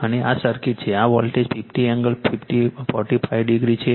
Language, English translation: Gujarati, And this is the circuit, this is voltage 50 angle 45 degree